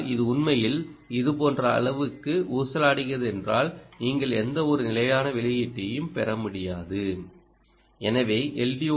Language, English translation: Tamil, but if it indeed swings a lot like this i, you will not be able to get any stable output here